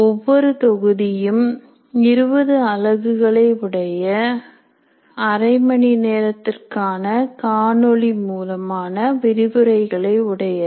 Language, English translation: Tamil, Each module is also offered as 20 units of about half hour video lectures